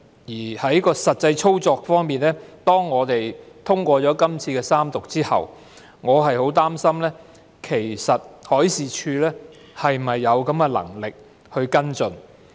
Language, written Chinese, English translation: Cantonese, 至於實際操作方面，我很擔心在《條例草案》獲三讀通過後，海事處是否有能力跟進。, As for the actual operation I am greatly worried about the Marine Departments capability in following up the matter upon the passage of the Bill after its Third Reading